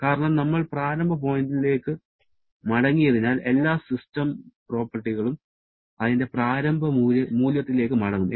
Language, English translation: Malayalam, Because we are back to the initial point, so all the system properties will go back to its initial value